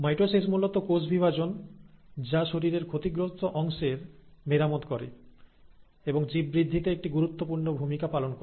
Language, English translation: Bengali, So mitosis is basically the cell division which plays an important role in repairing the damaged parts of the body and also in the growth of the organism